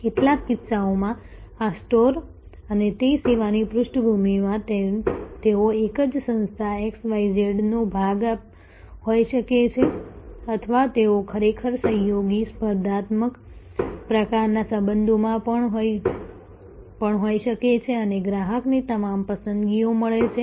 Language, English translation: Gujarati, In some cases this store and that a background the service they can be all part of the same organization XYZ or they can actually be even in a collaborative competitive type of relationship do all relationship and the customer getting all the preferences